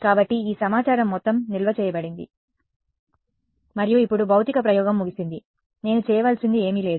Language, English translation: Telugu, So, all of this information is stored and now the physical experiment is over, there is nothing more I have to do